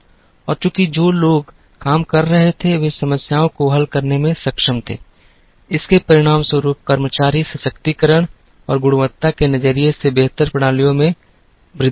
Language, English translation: Hindi, And since people who were working were able to solve problems, it resulted in increased employee empowerment and better systems from a quality perspective